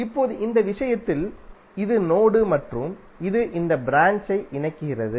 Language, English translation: Tamil, Now in this case this is the node because it is connecting this and this branch